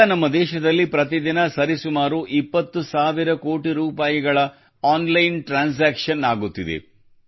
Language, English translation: Kannada, At present, transactions worth about 20 thousand crore rupees are taking place in our country every day